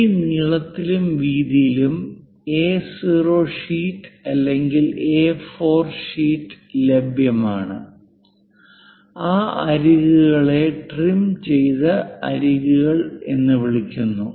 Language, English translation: Malayalam, The A0 sheet or A4 sheet which is available up to this length and width those edges are called trimmed edges